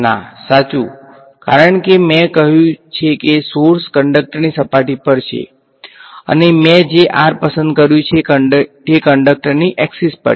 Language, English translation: Gujarati, No, right because I have said the sources are on the surface of the conductor and the r that I have chosen is on the axis of the conductor right